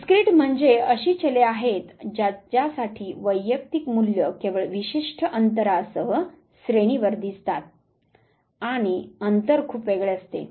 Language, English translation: Marathi, Discrete means those variables for which the individual value falls on the scale only with certain gap and the gap is very distinct